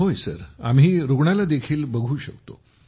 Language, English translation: Marathi, So you see the patient as well